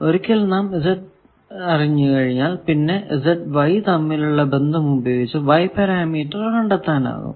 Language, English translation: Malayalam, So, if I know Z I can go to Y also there are relations between Z and H